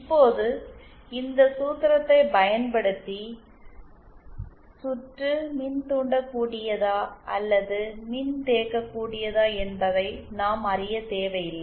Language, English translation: Tamil, Now, using this formula, what happens is we we do not need to know whether the circuit is inductive or capacitive